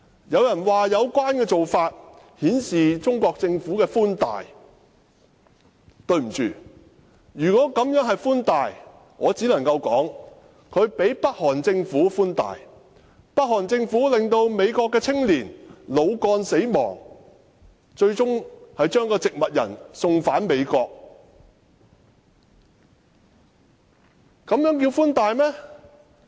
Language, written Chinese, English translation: Cantonese, 有人說有關做法顯示中國政府的寬大；對不起，如果這樣做是寬大，我只能說中國比北韓政府寬大，因為北韓政府令一名美國青年腦幹死亡，最終把一個植物人送返美國。, Some said that the Chinese Government has accorded lenient treatment; I am sorry if that is lenient treatment I could only say that the Chinese Government is more lenient than the North Korean Government as the North Korean Government after causing brain stem death of a young American finally released him back to the United States in a vegetative state